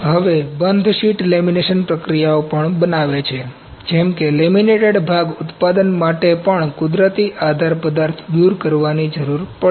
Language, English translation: Gujarati, Now, then also bond then form sheet lamination processes, such as laminated object manufacturing also require natural support material remover